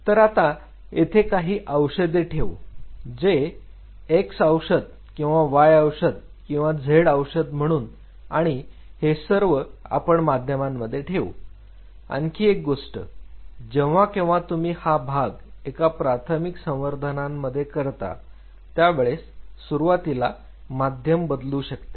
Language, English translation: Marathi, So, it puts the drug which is say represented by x drug or y drug or z drug into this medium and one more thing whenever you are going this part in primary culture the first medium change what they are recommended is what happens after